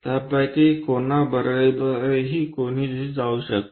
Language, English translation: Marathi, Anyone can go with any either of them